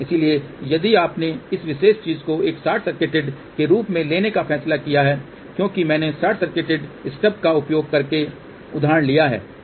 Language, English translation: Hindi, So, if you have decided to take this particular thing as a short circuited because I have taken example using short circuited stub